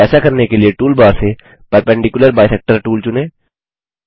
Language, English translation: Hindi, Click on the Perpendicular bisector tool